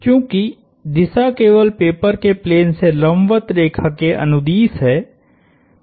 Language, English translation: Hindi, Since, the direction is only along the line perpendicular to the plane of the paper